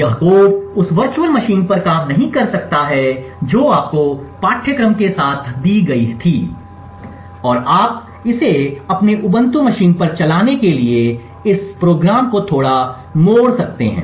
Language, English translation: Hindi, This code may not work on the virtual machine that was given to you along with the course and you may to tweak up this program a little bit and in order to get it run on your Ubuntu machines